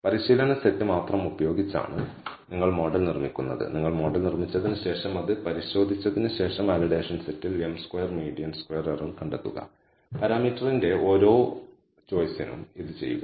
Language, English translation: Malayalam, So, you build the model using only the training set and after you have built the model you test it find the m square mean squared error on the validation set, do this for every choice of the parameter